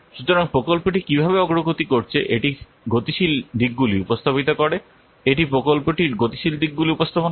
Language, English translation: Bengali, So it represents the dynamic aspects, how the project is progressing, it represents the dynamic aspects